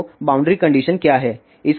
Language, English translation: Hindi, So, what are the boundary conditions